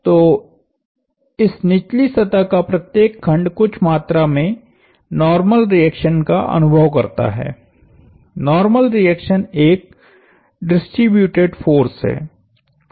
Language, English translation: Hindi, So, every piece of this bottom surface experiences some amount of normal reaction, the normal reaction is a distributed force